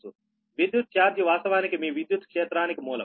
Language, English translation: Telugu, so electric charge actually is a source of your electric field, right